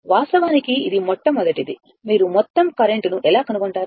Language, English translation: Telugu, And this is actually first you find out the total current